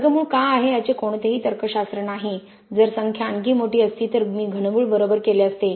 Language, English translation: Marathi, Again there is no logic for why a square root is, if numbers were even larger I would have made a cube root right